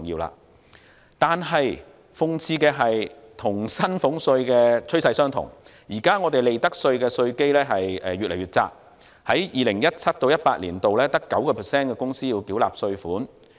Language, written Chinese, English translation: Cantonese, 然而，諷刺的是，與薪俸稅的趨勢相同，現時利得稅的稅基越來越窄，在 2017-2018 年度只有 9% 的公司要繳納稅款。, Nevertheless ironically sharing the same trend as salaries tax profits tax has seen a shrinking base with only about 9 % of corporations paying tax in 2017 - 2018